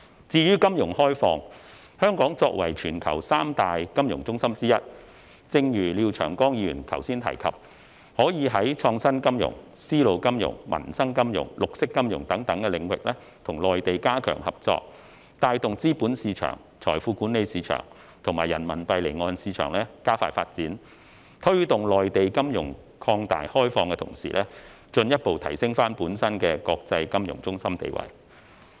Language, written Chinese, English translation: Cantonese, 至於金融開放，香港作為全球三大金融中心之一，正如廖長江議員剛才提及，可在創新金融、絲路金融、民生金融、綠色金融等領域，與內地加強合作，帶動資本市場、財富管理市場和人民幣離岸市場加快發展，推動內地金融擴大開放的同時，進一步提升本身國際金融中心地位。, Regarding financial opening as Mr Martin LIAO has said earlier Hong Kong as one of the three leading international financial centres in the world can strengthen cooperation with the Mainland in areas such as innovative finance silk road finance peoples livelihood finance and green finance to accelerate the development of the capital market the wealth management market and the offshore Renminbi market . While promoting a broader financial opening in the Mainland Hong Kong can further enhance its status as an international financial centre